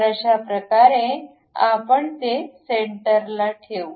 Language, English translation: Marathi, So, that it will be place center